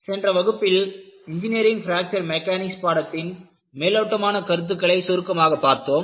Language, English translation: Tamil, In the last class, we had seen, what is the brief outline on the course on, Engineering Fracture Mechanics